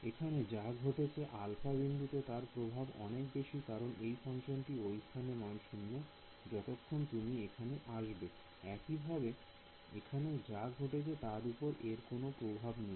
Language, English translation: Bengali, Whatever is happening at alpha has more influence on this because the way the shape function corresponding to this becomes 0 by the time you come over here, similarly whatever is happening over here has no influence on this